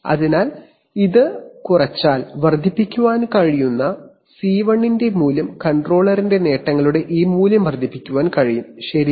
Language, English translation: Malayalam, So, if it has reduced then the value of C1 which can be increased, this value of the gains of the controller can be increased, right